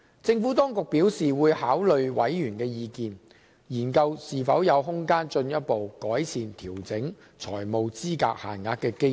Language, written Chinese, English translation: Cantonese, 政府當局表示會考慮委員的意見，研究是否有空間進一步改善調整財務資格限額的機制。, The Administration expresses that it will take into account Members views and consider whether there is room for further enhancement of the financial eligibility limit adjustment mechanism